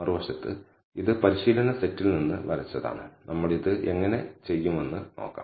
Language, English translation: Malayalam, But on the other hand, it is drawn from the training set and we will see how we do this